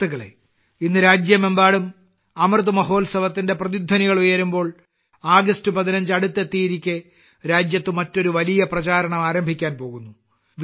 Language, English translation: Malayalam, Friends, in the midst of the ongoing reverberations of Amrit Mahotsav and the 15th of August round the corner, another great campaign is on the verge of being launched in the country